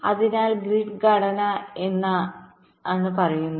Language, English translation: Malayalam, so what does grid structure says